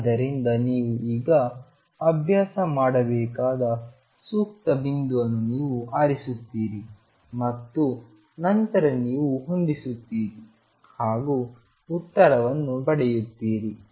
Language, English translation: Kannada, So, you choose a suitable point now for that you have to practice and you then match and then you get your answer